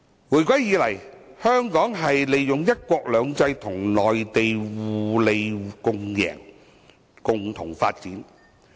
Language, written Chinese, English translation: Cantonese, 回歸以來，香港在"一國兩制"下與內地互利共贏，共同發展。, Since the reunification Hong Kong has under the principle of one country two systems developed with the Mainland to achieve mutual benefits